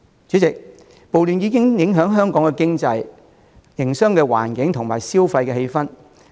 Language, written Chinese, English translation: Cantonese, 主席，暴亂已影響香港經濟、營商環境和消費氣氛。, President the riots have impacted on Hong Kongs economy business environment and consumption sentiments